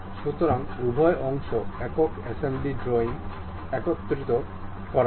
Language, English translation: Bengali, So, both the parts are brought together in a single assembly drawing